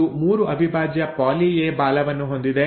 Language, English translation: Kannada, It has a 3 prime poly A tail